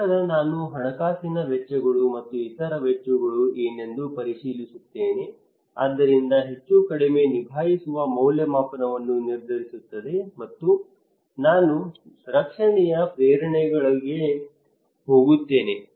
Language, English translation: Kannada, Then I also check what are the financial costs and other costs so plus/minus would decide my coping appraisal and I go for protection motivations